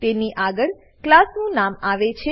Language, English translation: Gujarati, It is followed by the name of the class